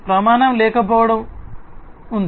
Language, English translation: Telugu, So, there is lack of standard